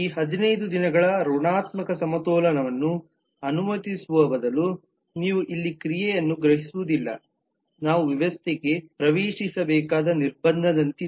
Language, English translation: Kannada, this is you would not perceive an action here rather this 15 days negative balance is allowed is more like a constraint that we will need to get into the system